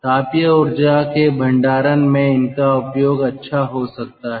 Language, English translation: Hindi, so this is for recovery of thermal energy